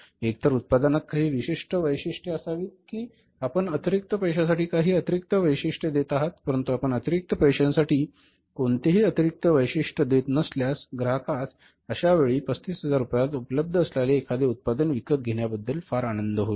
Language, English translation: Marathi, Either there should be some specific features in the product that you are giving some extra features for the extra money but if you are not giving any extra feature for the extra money in that case he would be very happy to buy a product which is available for 35,000 rupees and forms product will be blocked